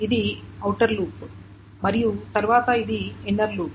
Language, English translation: Telugu, So, this is the outer loop, and then this is the inner loop